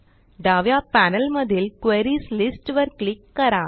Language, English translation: Marathi, Now, let us click on the Queries list on the left panel